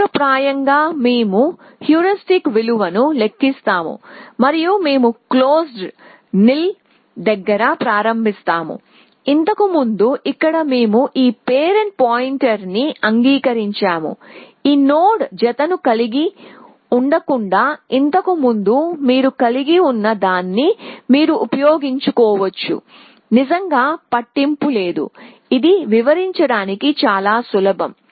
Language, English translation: Telugu, So, in as a matter of principle we compute the heuristic value and we initialize close to nil as before accept that here we have talked of this parent point of, rather than having this node pair that we had earlier you can use that it does not really matter, this is simply easier to describe